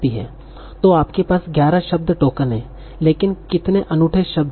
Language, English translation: Hindi, So you have 11 word tokens